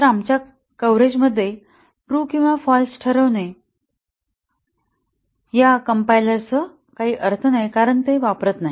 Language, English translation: Marathi, So, our setting true or false in our coverage we will have little meaning with this compiler because it does not use that